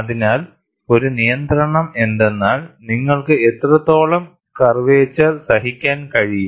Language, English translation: Malayalam, So, one of the restrictions is, what amount of curvature can you tolerate